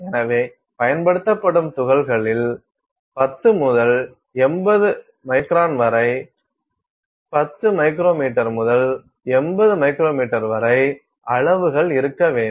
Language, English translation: Tamil, So, particles used should have sizes say between 10 and 80 microns, 10 micrometers to 80 micrometers